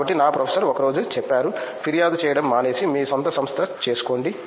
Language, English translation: Telugu, So, my professor one day said stop complaining and make your own company